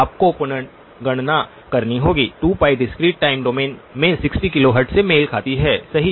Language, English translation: Hindi, You would have to recalculate, so 2pi corresponds to 2pi in the discrete time domain corresponds to 60 kilohertz right